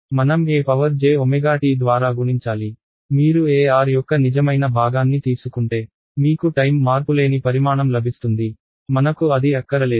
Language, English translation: Telugu, I have to multiplied by e to the j omega t right, if you just take the real part of E r you will get a time invariant quantity, we do not want that